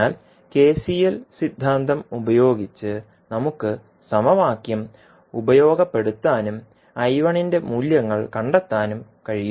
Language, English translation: Malayalam, So using that KCL theorem we will the particular law we can utilize the equation and find out the values of I 1